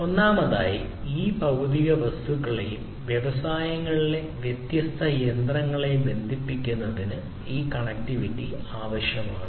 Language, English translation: Malayalam, So, first of all this connectivity is required in order to connect these physical objects; these different machines in the industries and so on